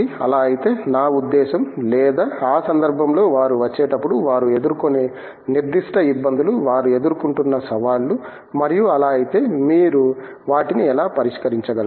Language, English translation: Telugu, And if so, I mean or in that context, are there specific difficulties that they face as they come in, challenges that they face and if so, how do you go about addressing